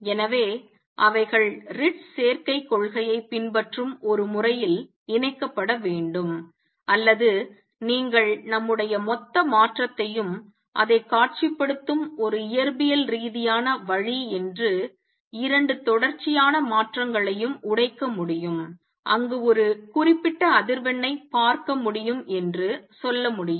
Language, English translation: Tamil, So, they have to be combined in a manner that follows Ritz combination principle or you can say I see one particular frequency where our total transition can be broken into two consecutive transitions that is a physical way of visualizing it